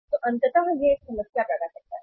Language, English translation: Hindi, So ultimately it it creates a problem